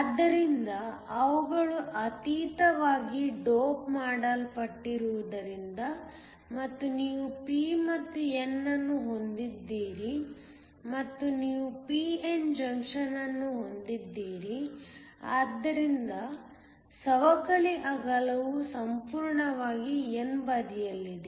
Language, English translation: Kannada, So, because they are heavily doped and you have a p and n you have a p n junction and the depletion width is almost entirely on the n side